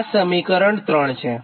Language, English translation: Gujarati, this is the third equation